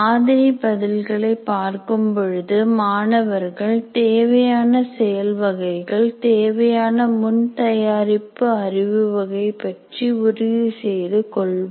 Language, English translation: Tamil, By looking at the sample answer, the kind of work that is required, the kind of prerequisite knowledge that is required can be ascertained